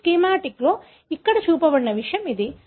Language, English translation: Telugu, This is something that is shown here in this schematic